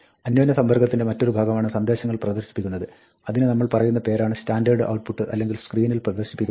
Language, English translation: Malayalam, The other part of interaction is displaying messages, which we call standard output or printing to the screen